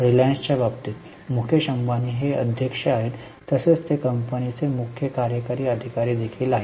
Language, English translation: Marathi, Like in case of reliance, Mukeshambani is chairman, he is also CEO of the company